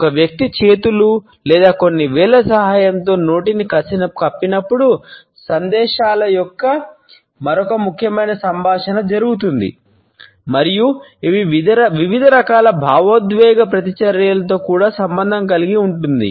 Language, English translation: Telugu, Another important communication of messages is done when a person covers the mouth with the help of hands or certain fingers and this is also associated with different types of emotional reactions